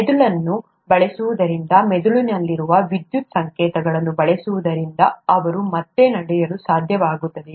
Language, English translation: Kannada, Just by using the brain, just by using the electrical signals in the brain, whether they’ll be able to walk again